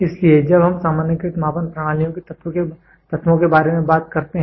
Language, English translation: Hindi, So, when we talk about the elements of generalized measuring systems